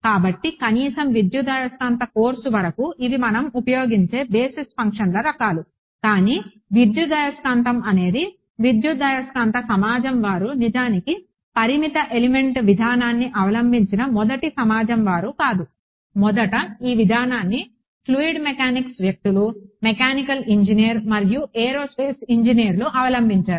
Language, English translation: Telugu, So, at least as far as electromagnetics course these are the kinds of basis functions we use, but electromagnetics are not the electromagnetic community is not the first community to do finite element in fact, the first community were fluid mechanics people, mechanical engineer, aerospace engineers